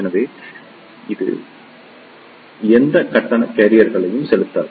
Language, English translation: Tamil, So, it does not inject any charge carriers